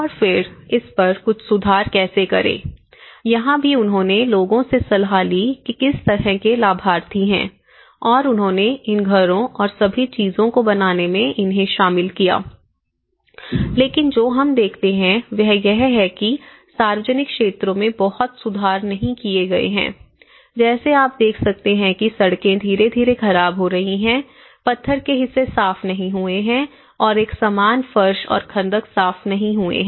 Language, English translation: Hindi, And how to make some improvements on it and again, here also they consulted the people what kind of beneficiaries and they make involved and all the people in making these houses and everything but what we see is there is not many improvements have been made in public areas, like you can see the streets have been gradually deteriorating, the stone parts have not clean and uniform paving and ditches have not been cleaned